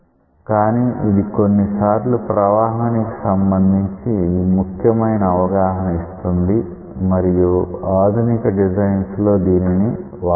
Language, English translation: Telugu, But, sometimes it gives a very important idea of how the fluid flow is taking place and it is used for advanced designs also